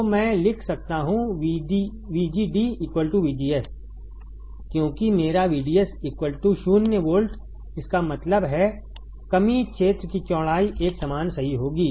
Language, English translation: Hindi, So, I can write VGD should be equals to VGS because my VDS is 0 volt right; that means, width of depletion region will be uniform correct